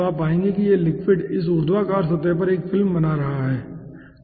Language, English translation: Hindi, so you will find out that this liquid is forming a film over this vertical surface